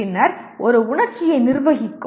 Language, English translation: Tamil, Then comes managing an emotion